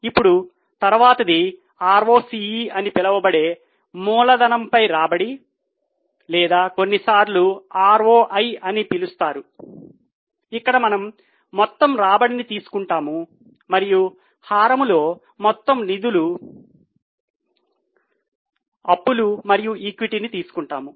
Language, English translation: Telugu, Now the next one is return on capital, popularly known as ROCE or sometimes called as ROI where we will take the total return and in the denominator take the total funds